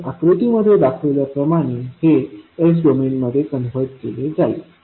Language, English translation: Marathi, So it will be converted in S domain as shown in the figure